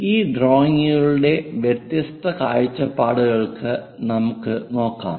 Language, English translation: Malayalam, Let us look at different perspectives of this drawings, especially the projections